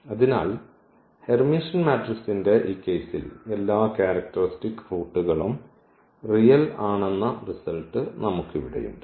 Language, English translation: Malayalam, So, here we have at least the results for the Hermitian matrix that all the characteristic roots are real in this case